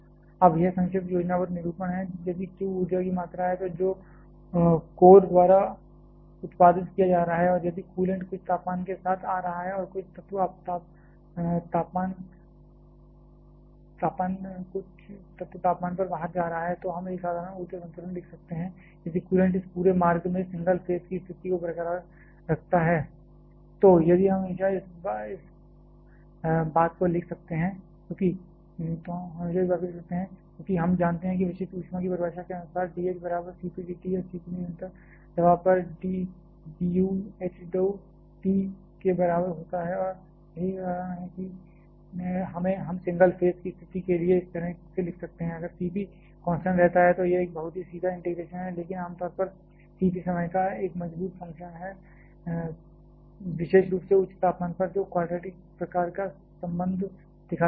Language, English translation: Hindi, Now, this is brief schematic representation if q is the amount of energy; that is being produced by the core and if coolant is coming with some temperature and going out at some element temperature, then we write a simple energy balance as q dot equal to m dot into integral of dh, but q dot is the power production rate and m dot is the mass flow rate of the coolant and hence it is mot dot into h out minus h in assuming that m dot remains constant this is of course, under steady state this energy balance has been retained